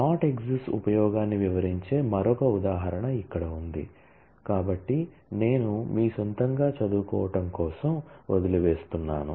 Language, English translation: Telugu, Here is another example which illustrate the use of not exist; so which I leave it for your own study